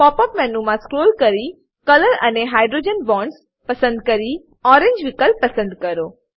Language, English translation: Gujarati, From the Pop up menu scroll down to Color then Hydrogen Bonds then click on orange option